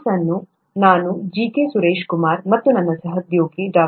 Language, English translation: Kannada, The course will be handled by me, G K Suraishkumar and my colleague, Dr